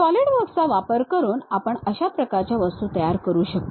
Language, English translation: Marathi, That kind of objects we can construct it using Solidworks